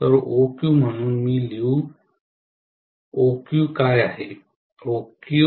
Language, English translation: Marathi, So OQ, so let me write, what is OQ